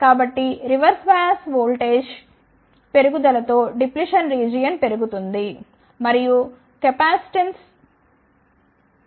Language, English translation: Telugu, So, therefore, with increase in reverse bias voltage the depletion region increases and the capacitance reduces